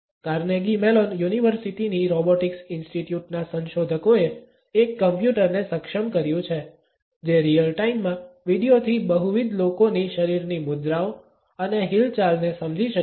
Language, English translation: Gujarati, Researchers at Carnegie Mellon University’s Robotics Institute have enabled a computer, which can understand the body poses and movements of multiple people from video in real time